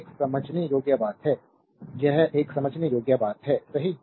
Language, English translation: Hindi, So, this is a understandable a simple thing this is a understandable to you, right